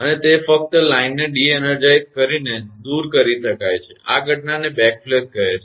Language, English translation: Gujarati, And it can only be removed by de energizing the line; this phenomena is known as backflash